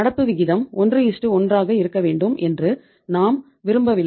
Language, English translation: Tamil, We do not want that the current ratio should be 1:1